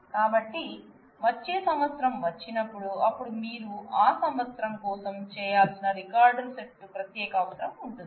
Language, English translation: Telugu, So, when they come when in the next year comes, then you need a separate you know set of records to be done for that year